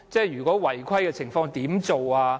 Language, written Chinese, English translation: Cantonese, 如果有違規情況，怎麼辦？, How should we tackle those possible offences?